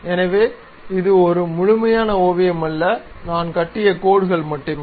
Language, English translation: Tamil, So, it is not a complete sketch, only lines I have constructed, not a closed one